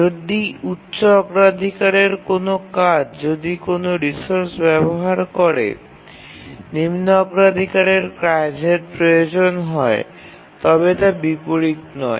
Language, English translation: Bengali, If a higher priority task is using a resource, the lower priority task need to wait